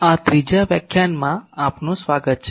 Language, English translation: Gujarati, Welcome to this third lecture